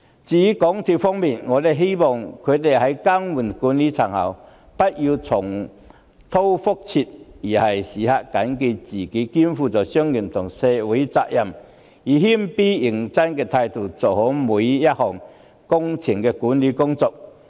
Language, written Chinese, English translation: Cantonese, 至於港鐵公司方面，我希望他們更換管理層後不要重蹈覆轍，並時刻緊記自己肩負商業及社會責任，以謙卑認真的態度做好每項工程的管理工作。, As for MTRCL I hope it will not repeat the same mistakes after management replacement and always bear in mind that it carries on its shoulders commercial and social responsibilities